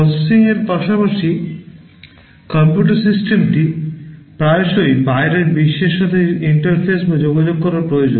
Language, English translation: Bengali, In addition to processing, the computer system often needs to interface or communicate with the outside world